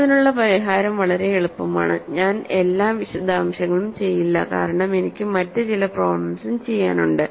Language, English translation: Malayalam, The solution for this is very easy, I will not do all the details because I have I want to do some other problems also